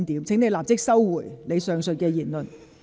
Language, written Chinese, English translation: Cantonese, 請你立即收回你剛才的言論。, Please immediately withdraw the remark you just made